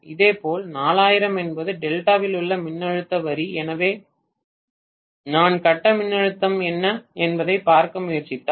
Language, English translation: Tamil, Similarly, 4000 is the line voltage in Delta, so if I try to look at what is the phase voltage